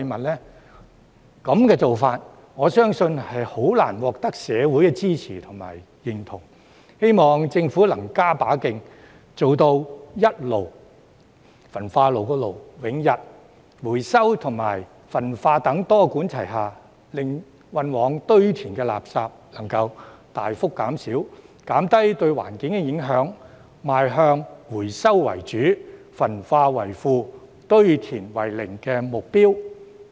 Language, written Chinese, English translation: Cantonese, 這種做法，我相信難以獲社會的支持和認同，希望政府能加把勁，做到一"爐"永逸，回收與焚化等多管齊下，令運往堆填的垃圾能大幅減少，減低對環境的影響，邁向"回收為主，焚化為輔，堆填為零"的目標。, I believe this approach is hardly supported and accepted by the community . I hope that the Government will step up its efforts to achieve the goal of solving the problem once and for all by way of incineration and adopt the multi - pronged strategy of recycling and incineration so as to significantly reduce the amount of waste sent to landfills and minimize the environmental impact thus enabling us to move towards the goal of recycling as the mainstay incineration as a supplement and zero landfill